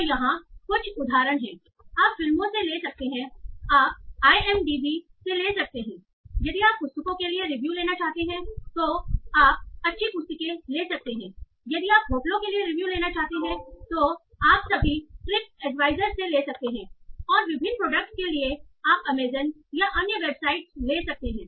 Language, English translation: Hindi, You can take for movies, you can take IMDB, you want to take reviews for books, you can take good reads, you want to take reviews for hotels and all, you can take TripAd trip advisor and for various products you can take Amazon or other websites